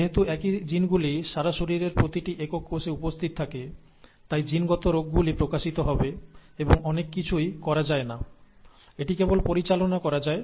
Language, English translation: Bengali, And since the same genes are present in every single cell throughout the body, genetic diseases will manifest across and there is nothing much can be done, it can only be managed